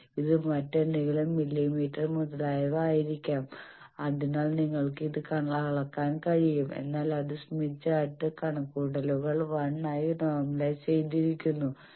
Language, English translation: Malayalam, It may be some other millimeter etcetera, so you can measure this but that is in the smith chart calculations normalized to 1